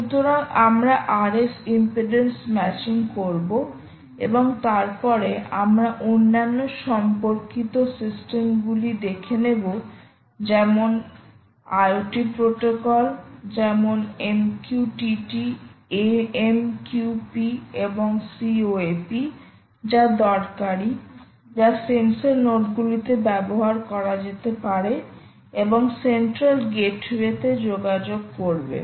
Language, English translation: Bengali, so we will do r f impedance matching and then we will then take up other related systems, ah, such as the ah protocols, i o t protocols, ah such as m q t, t and ah, m q t t, a, m q p and c o a p, which are useful for which can run on the sensor nodes and communicate to a central gateway